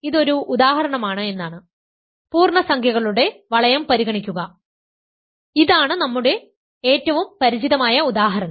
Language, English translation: Malayalam, So, it is an example, consider the ring of integers, this our most familiar example right, for everything we start with the ring of integers